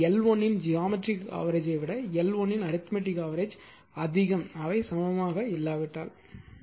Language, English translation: Tamil, But geometric mean of L 1 L 2 less than the arithmetic mean of L 1 L 2 if they are not equal